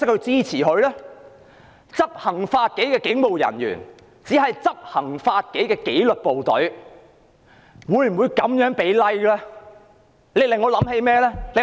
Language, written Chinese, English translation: Cantonese, 執行法紀的警務人員屬於紀律部隊，這樣給 "Like" 對嗎？, As police officers belong to the disciplined services is it appropriate for them to give Like?